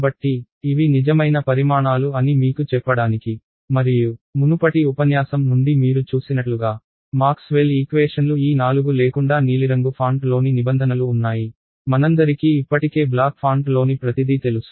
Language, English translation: Telugu, So, just to tell you that these are real quantities and so as you saw from the previous lecture, Maxwell’s equations were these four without the terms in the blue font ok, we all know everything in the black font already